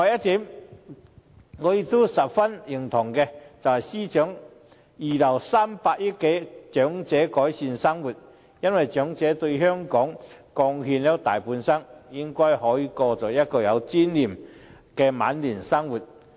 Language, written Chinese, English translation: Cantonese, 此外，我十分認同司長預留300億元改善長者生活，因為長者為香港貢獻了大半生，應該可以過有尊嚴的晚年生活。, Moreover I greatly support the Financial Secretary in reserving 30 billion for improving the livelihood of the elderly . As the elderly have contributed to Hong Kong most of their lives they deserve to spend their twilight years in a dignified manner